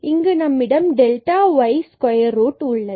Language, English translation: Tamil, Here we have delta y square as well and then the square root